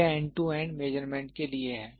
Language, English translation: Hindi, This is for end to end measurement; this is for end to end measurement